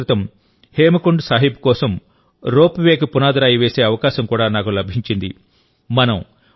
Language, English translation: Telugu, A few days ago I also got the privilege of laying the foundation stone of the ropeway for Hemkund Sahib